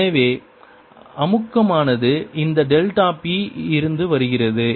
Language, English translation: Tamil, so the compression comes from this delta p